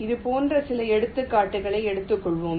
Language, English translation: Tamil, lets take some examples like this